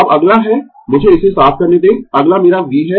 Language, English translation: Hindi, Now, next is let me clear it, next is my V